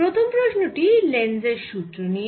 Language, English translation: Bengali, so this first question is based on lenz's law